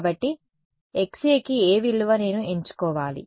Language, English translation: Telugu, So, what value of Xa do I choose